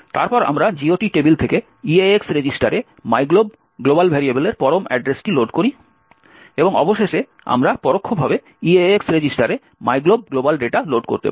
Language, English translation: Bengali, Then we load the absolute address of myglob global variable from the GOT table into the EAX register and finally we can indirectly load the myglob global data to the EAX register